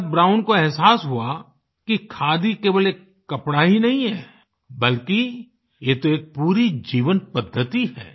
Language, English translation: Hindi, It was then, that Brown realised that khadi was not just a cloth; it was a complete way of life